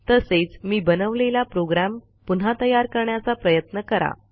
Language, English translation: Marathi, Also, try to recreate the program Ive just created